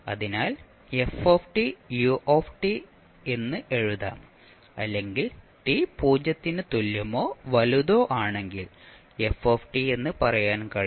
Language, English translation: Malayalam, So you can simply write ft ut or you can say ft for time t greater than equal to 0